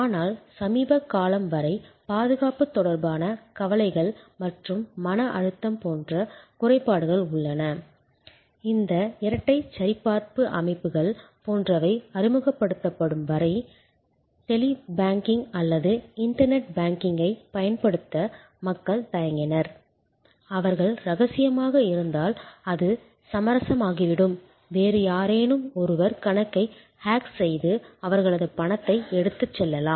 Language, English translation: Tamil, But, there are disadvantages like there are anxieties and stress related to security till very recently, till some of this double verification systems etc were introduced people felt hesitant to use a Tele banking or internet banking, fearing that they are confidential it will become compromised or somebody else we will be able to hack into the account and take away their money and so on